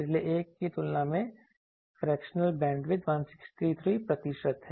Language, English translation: Hindi, Fractional bandwidth compared to the previous one 163 percent